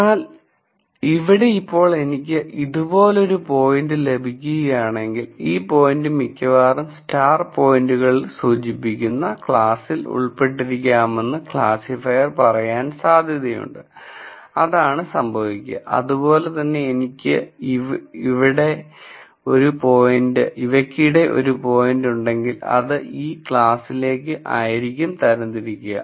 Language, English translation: Malayalam, But here now if I get a new point if I get a point like this, then I would like the classifier to say that this point most likely belongs to the class which is denoted by star points here and that is what would happen and similarly if I have a point here I would like that to be classified to this class and so on